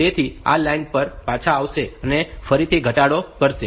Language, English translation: Gujarati, So, it will come back to this line and it will again do a decrement